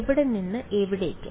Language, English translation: Malayalam, From where to where